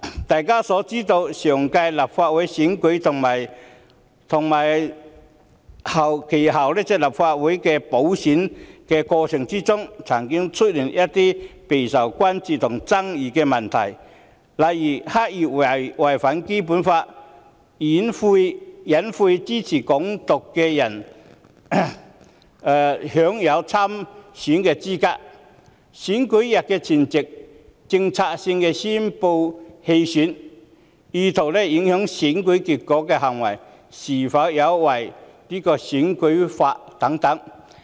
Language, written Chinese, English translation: Cantonese, 大家也知道，上屆立法會選舉和其後的立法會補選曾出現一些備受關注和爭議的問題，例如刻意違反《基本法》、隱晦支持港獨的人有資格參選；有候選人在選舉日前夕策略性宣布棄選，此等意圖影響選舉結果的行為是否有違選舉法例。, As we all know there were some issues of great concern and controversies in the previous Legislative Council election and the subsequent Legislative Council by - election such as the deliberate violation of the Basic Law those people who implicitly support Hong Kong independence being eligible to run in the elections; some candidates strategically announced their withdrawal of candidature on the day before the polling day . There have been misgivings about whether such acts intended to affect the outcome of elections are in breach of the electoral laws